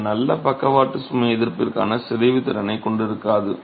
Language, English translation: Tamil, It would not have the deformation capacity for good lateral load resistance